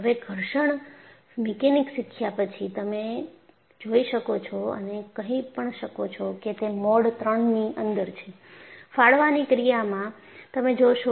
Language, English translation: Gujarati, Now, after learning fraction mechanics, you can go and say, that is in mode three; tearing action, you will see